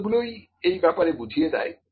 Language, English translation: Bengali, The terms itself tell something about that